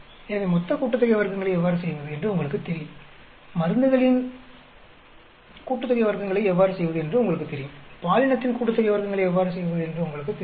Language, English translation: Tamil, So, you know how to do total sum of squares, you know how to do drugs sum of squares, you know how to gender sum of squares